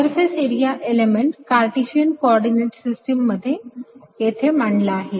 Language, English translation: Marathi, so i defined surface area element in the cartesian coordinates